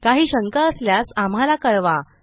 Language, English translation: Marathi, If you have any questions, please let me know